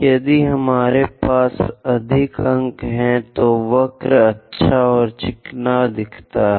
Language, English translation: Hindi, If we have more number of points, the curve looks nice and smooth